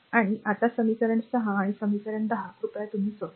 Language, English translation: Marathi, So, just solve equation 6 and equation 10, you just please do it, right